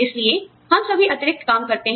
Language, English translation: Hindi, So, we all take on, a little bit of extra work